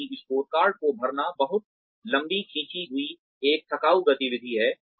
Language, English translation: Hindi, Because, filling up the scorecard, is a very long drawn out, a tedious activity